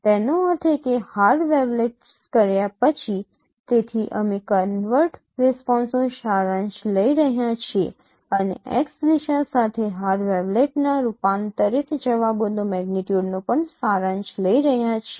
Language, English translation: Gujarati, That means after performing the hard wavelengths so we are taking the summation of the the convert responses and also the summation of the magnitudes of the converged responses of the magnitudes of the converged responses of hard wavelengths along the X direction